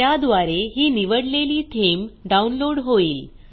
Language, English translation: Marathi, This will download the chosen theme